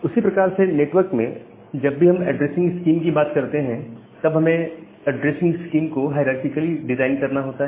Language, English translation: Hindi, Similarly, in the network whenever we talk about the addressing scheme, we have to design this addressing scheme in a hierarchical way